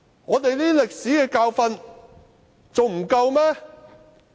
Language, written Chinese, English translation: Cantonese, 我們這些歷史教訓還不夠嗎？, Havent we learnt enough from these historical lessons?